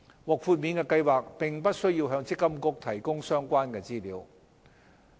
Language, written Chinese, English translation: Cantonese, 獲豁免計劃並不需要向積金局提供相關資料。, Exempted schemes are not required to provide such information to MPFA